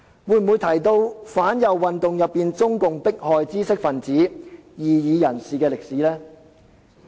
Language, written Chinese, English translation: Cantonese, 會否提到中共在反右運動中迫害知識分子和異議人士的歷史？, Will we mention the history of CPCs oppression of the intellectuals and dissidents in the anti - rightist movement?